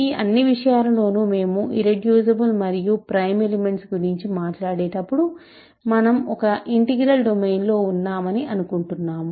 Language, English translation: Telugu, In all this subject of when we talk about irreducible and prime elements we are assuming that we are in an integral domain